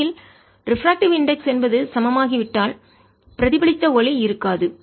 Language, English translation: Tamil, in fact, if the refractive index become equal, then there will be no reflected light